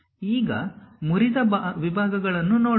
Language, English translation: Kannada, Now, let us look at broken out sections